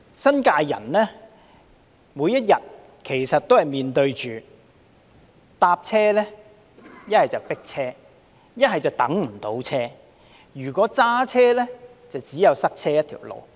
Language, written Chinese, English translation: Cantonese, 新界居民每天搭車，要麼就"迫車"，要麼就等不到車，而如果駕車，就只有塞車一條路。, For residents of the New Territories who have to take a ride every day they are either packed like sardines or waiting for a ride that will never arrive; and if they drive they will only end up in a traffic jam